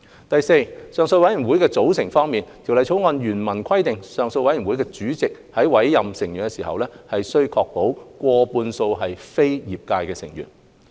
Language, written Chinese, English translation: Cantonese, 第四，上訴委員會的組成方面，《條例草案》原文規定上訴委員團主席在委任成員時，須確保上訴委員會成員過半數為非業界成員。, Fourthly regarding the composition of appeal board the original text of the Bill provides that in appointing the members of the appeal board the chairperson of the appeal panel must ensure that a majority of the members of the board are non - trade members